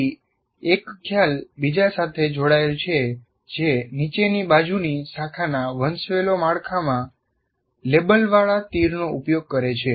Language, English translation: Gujarati, And then there is a one is connected to the other what you call labeled arrows are used in downward branching hierarchical structure